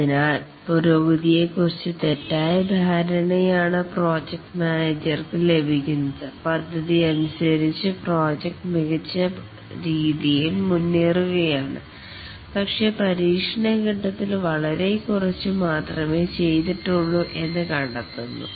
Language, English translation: Malayalam, So the project manager gets a false impression of the progress that the progress is the project is proceeding nicely according to the plan but during the testing phase finds out that very little has been done